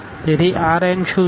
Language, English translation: Gujarati, So, what is the R n